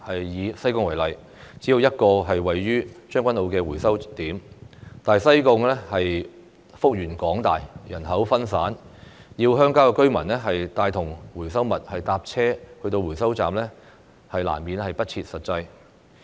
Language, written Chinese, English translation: Cantonese, 以西貢為例，只有一個位於將軍澳的回收點，但西貢幅員廣大，人口分散，要鄉郊居民拿着回收物乘車前往回收站，難免不切實際。, In Sai Kung for example there is only one recycling outlet in Tseung Kwan O but Sai Kung is a large area with a scattered population . It is impractical for rural residents to take their recyclables to recycling stations by vehicles